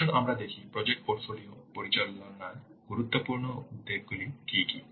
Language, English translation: Bengali, Let's see what are the important concerns of project portfolio management